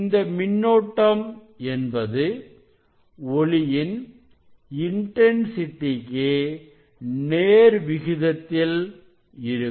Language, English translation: Tamil, that photo current will be proportional to the intensity of this light